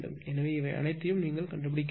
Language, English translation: Tamil, So, you have to find out all these right